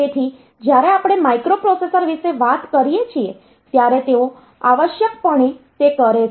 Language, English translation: Gujarati, So, when we talk about microprocessor they are essentially doing that